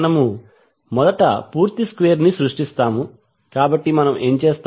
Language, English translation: Telugu, We first create the complete square, so to do that what we will do